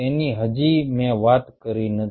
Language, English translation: Gujarati, that still i havent talk